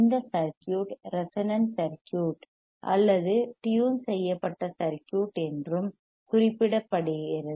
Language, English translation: Tamil, tThis circuit is also referred to as resonant circuit or tuned circuit